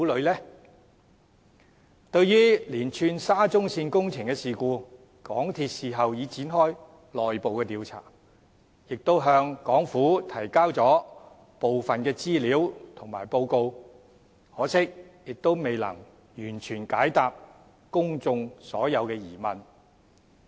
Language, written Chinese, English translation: Cantonese, 就沙中線連串的工程事故，港鐵公司事後已展開內部調查，亦向港府提交了部分的資料和報告，可惜未能完全解答公眾所有的疑問。, MTRCL has commenced an internal inquiry into the series of construction incidents and submitted some information and reports to the Hong Kong Government . Unfortunately MTRCL has not fully answered all the questions of the public